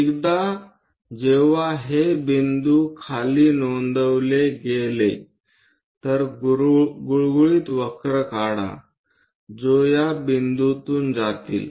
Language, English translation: Marathi, Once these points are noted down draw a smooth curve which pass through these points